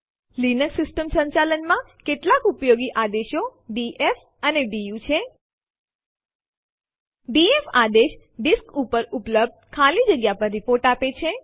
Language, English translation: Gujarati, Some of the useful commands in Linux System Administration are df and du The df command gives a report on the free space available on the disk